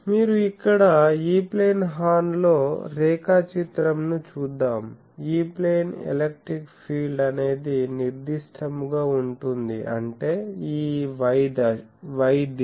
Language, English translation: Telugu, So, let us see the E plane horn that you see the graph here, the E plane the electric field is this directed; that means this y direction